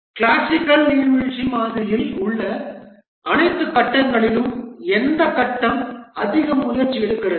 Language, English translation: Tamil, Out of all the phases in the classical waterfall model, which phase takes the most effort